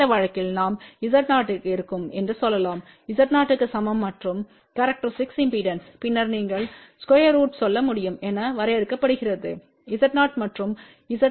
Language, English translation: Tamil, In that case we can say Z o e will be equal to Z o o and the characteristic impedance then is defined as a you can say square root of Z o e and Z o o